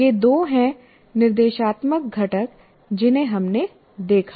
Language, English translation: Hindi, These are the two instructional components that we looked at